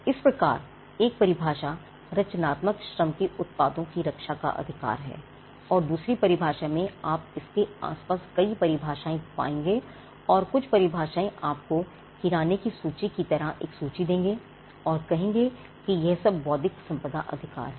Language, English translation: Hindi, So, one definition the rights that protect the products of creative Labour that is another definition you will find multiple definitions around this and some definitions would actually give you a list of things it is more like a grocery list; a list of things and say that these are all intellectual property rights for instance